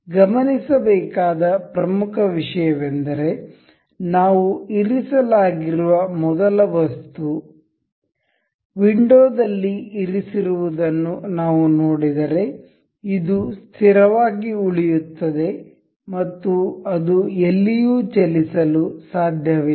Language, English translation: Kannada, The important thing to note is the first component that we have been placed, we have see placed in the window this will remain fixed and it cannot move anywhere